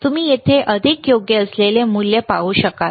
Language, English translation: Marathi, You will be able to see the value which is more appropriate here